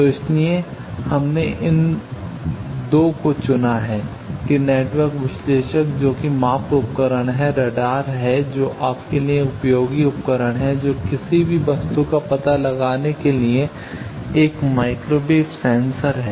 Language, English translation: Hindi, So, that is why we have selected these 2 that network analyzer which is measurement device radar which is a useful device for you know detecting any object it is a microwave sensor